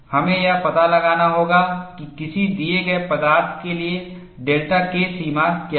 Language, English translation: Hindi, We will have to find out what is the value of delta K threshold, for a given material